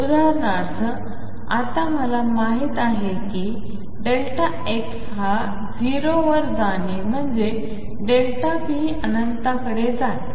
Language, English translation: Marathi, For example, now I know that delta x going to 0 means delta p goes to infinity